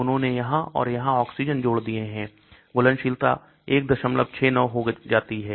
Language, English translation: Hindi, Now they have added oxygens here and here, solubility becomes 1